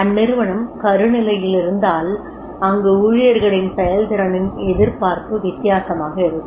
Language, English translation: Tamil, If it is at embryonic stage then the expectancy of the performance of these employees that will be different